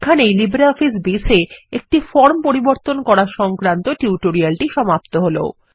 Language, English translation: Bengali, This brings us to the end of this tutorial on Modifying a Form in LibreOffice Base